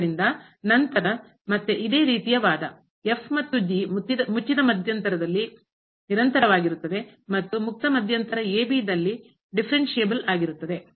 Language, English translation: Kannada, So, again the similar argument since and they are continuous in closed interval and differentiable in the open interval